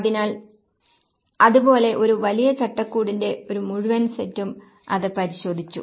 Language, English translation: Malayalam, So, like that there is a whole set of larger framework which has been looked at it